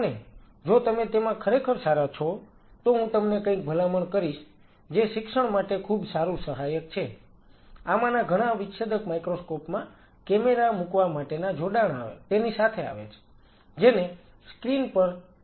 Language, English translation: Gujarati, And if you are really good in that, then I would recommend you something which is a very good teaching aid, is that many of these dissecting microscopes comes with an attachment to put a camera which could be put on a screen and you can record it